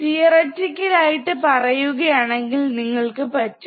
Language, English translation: Malayalam, So, theoretically you can theoretical you can